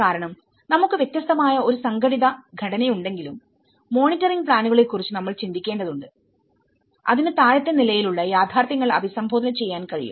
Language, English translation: Malayalam, Because though, we have a different organized structure, we need to think about the monitoring plan and which can address the bottom level realities to it